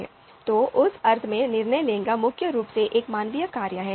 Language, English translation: Hindi, So in that sense, decision making is preeminently a human function